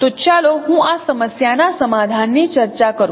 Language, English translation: Gujarati, So let me discuss the solution of this problem